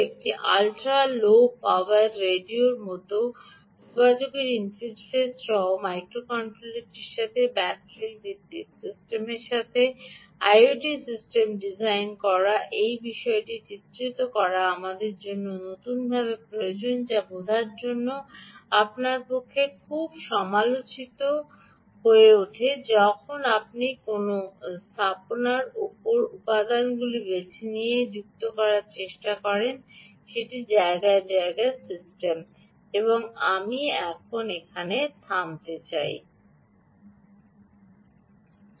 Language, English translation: Bengali, all of this we will have to be done and therefore designing an i o t system with battery, ah battery, ah, battery based system with a microcontroller, with a communication interface, like a ultra low power radio, this particular picture becomes ah, very, very critical for you to understand the new wants us that are associated when you chose components for putting a system in place